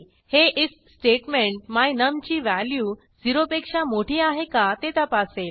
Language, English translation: Marathi, The if statement will check if the value of my num is greater than 0